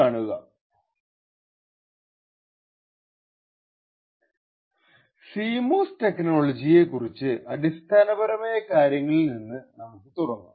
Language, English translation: Malayalam, Just start out with some basic fundamentals about CMOS technology